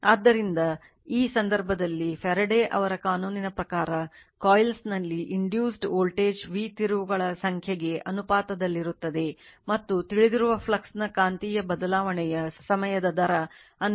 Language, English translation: Kannada, So, in that case what according to Faraday’s law right, according to your Faraday’s law, so your the voltage v induced in the coil is proportional to the number of turns N and the time rate of change of the magnetic of the flux that is we know, the v is equal to N into d phi by d t right